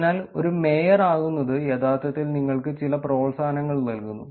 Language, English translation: Malayalam, So, being a mayor is actually giving you some incentives